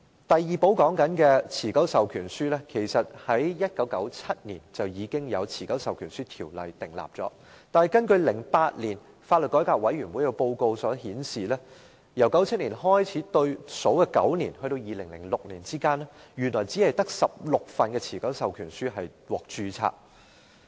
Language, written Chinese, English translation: Cantonese, 第二寶所說的持久授權書在1997年透過《持久授權書條例》訂立，但根據2008年法律改革委員會的報告，在1997年至2006年的9年之間，原來只有16份持久授權書獲註冊。, An EPA which we refer to as the second key was introduced by the Enduring Powers of Attorney Ordinance in 1997 . But according to the report of the Law Reform Commission in 2008 only 16 EPAs had been registered in the nine years from 1997 to 2006